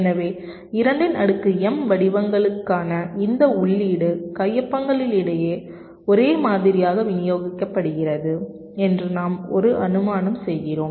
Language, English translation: Tamil, so we make an assumption that this input, two to the power m patterns are uniformly distributed among the signatures